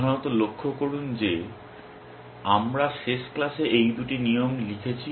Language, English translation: Bengali, Mainly notice that we have written this two rules in the last class